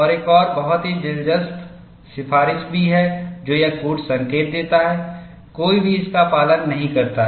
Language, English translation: Hindi, And there is also another very interesting recommendation this code gives; no one seems to have followed it